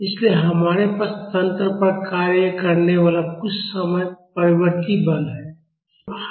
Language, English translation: Hindi, So, we have some time varying force acting on the system